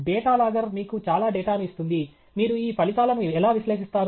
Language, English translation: Telugu, Data logger gives you so much of data, how do you analyze these results